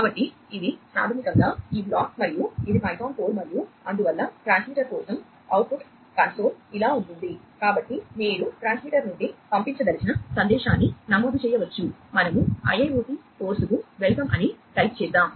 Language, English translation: Telugu, So, this is basically this block and this is the python code and so, output console for the transmitter is going to look like this